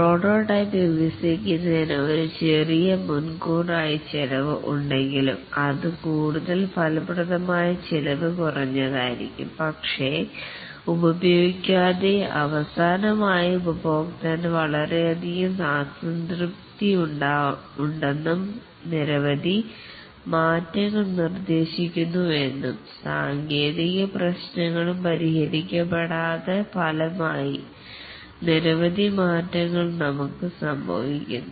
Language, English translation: Malayalam, That would incur massive redesign costs and even though there is a small upfront cost of developing the prototype but that will be more effective cost effective then not using the prototype and finally finding out that the customer has lot of dissatisfaction and suggests many changes and also the technical issues are unresolved as a result many changes occur